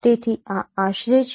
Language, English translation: Gujarati, So this is approximation